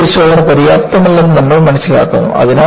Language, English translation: Malayalam, Then, you realize that tension test is not sufficient